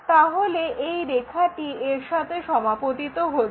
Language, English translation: Bengali, So, we will have that line this one coincide